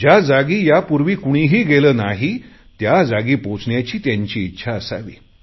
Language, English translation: Marathi, They should have the courage to set foot on places where no one has been before